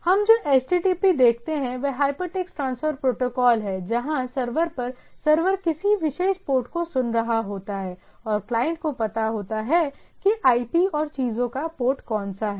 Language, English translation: Hindi, So, what we see a HTTP is a hyper text transfer protocol where a server side that at the server is listening to a particular port and the client or client or the clients knows that which where is the IP and the port of the things